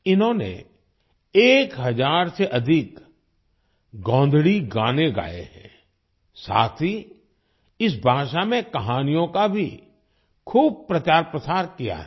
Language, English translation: Hindi, He has sung more than 1000 Gondhali songs and has also widely propagated stories in this language